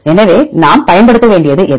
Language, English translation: Tamil, So, which one we need to use